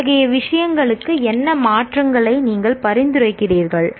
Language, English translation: Tamil, What changes to such and such thing would you recommend